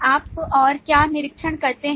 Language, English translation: Hindi, What else do you observe